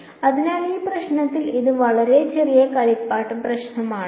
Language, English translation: Malayalam, So, in this problem it is a very small toy problem